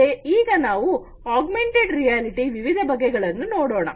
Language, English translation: Kannada, So, now let us look at the different types of augmented reality